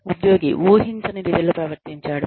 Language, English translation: Telugu, Employee behaved in a manner, that was not expected